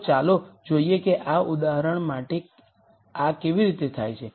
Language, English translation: Gujarati, So, let us see how this happens for this example